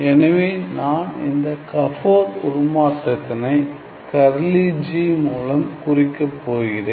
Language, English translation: Tamil, Well the Gabor transform I am going to denote Gabor transform by this curly G